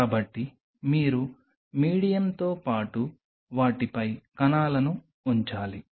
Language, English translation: Telugu, So, you have to put the cells on them along with the medium